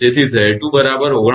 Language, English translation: Gujarati, So, Z 2 is equal to 49